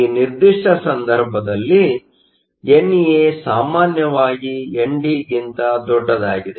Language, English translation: Kannada, In this particular case, NA is usually much larger than ND